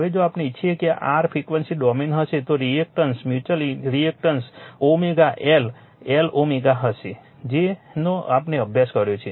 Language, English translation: Gujarati, Now if we want that this will be your frequency domain the reactance mutual reactance will be omega into l l omega we have studied